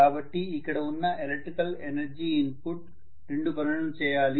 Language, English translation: Telugu, So my electrical energy input it is going towards two tasks